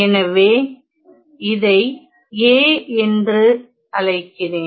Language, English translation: Tamil, So, I call this as A ok